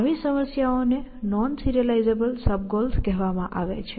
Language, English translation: Gujarati, Such problems are called non serializable sub goals, essentially